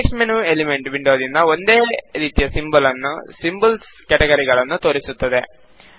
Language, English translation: Kannada, The context menu displays the same categories of symbols as in the Elements window